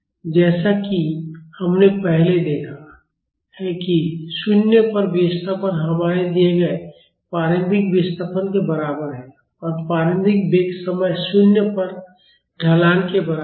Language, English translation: Hindi, As we have seen earlier the displacement at 0 is equal to our initial displacement given and the initial velocity is equal to the slope at time is equal to 0